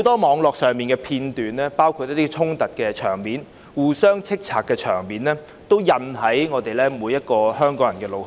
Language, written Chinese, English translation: Cantonese, 網絡上的片段有很多衝突和互相指罵的場面，也烙印在每個香港人的腦海中。, Online footage showing scenes of clashes and people accusing each other have been etched on the mind of every Hongkonger